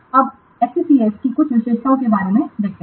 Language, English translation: Hindi, Now let's see about some of the features of SCCS